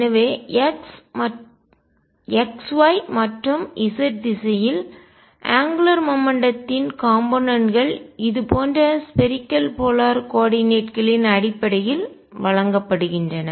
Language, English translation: Tamil, So, the components of angular momentum in x y and z direction are given in terms of spherical polar coordinates like this